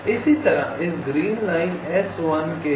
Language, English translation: Hindi, similarly, for this green line s one